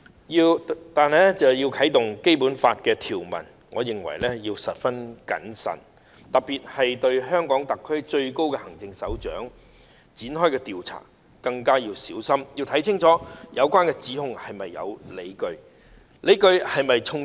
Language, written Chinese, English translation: Cantonese, 如要引用《基本法》的有關條文，我認為要十分謹慎，特別是對香港特區最高行政首長展開調查，更應小心清楚了解有關指控是否有理據，而理據是否充足。, With regard to any invocation of an article of the Basic Law I think we must be very careful . Especially if we are to conduct an investigation of the top executive of the Hong Kong Special Administrative Region we should very carefully consider whether there are grounds for the charges in question and whether the grounds are sufficient